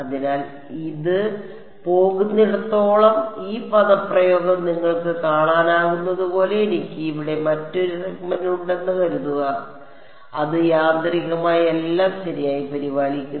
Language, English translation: Malayalam, So, this is pretty much as far as this goes, this expression as you can see supposing I have another segment over here, it automatically takes care of everything right